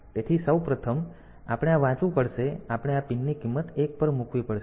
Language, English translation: Gujarati, So, first of all, so we have to read this, we have to put this pin value to 1